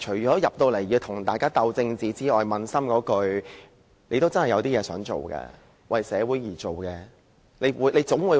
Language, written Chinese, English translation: Cantonese, 在立法會，大家除了政治鬥爭外，其實撫心自問，大家應該有真正想為社會做的事。, In this Council besides engaging in political struggles Members should do some soul - searching as they should really do something for society